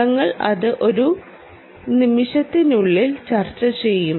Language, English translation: Malayalam, we will discuss that in a moment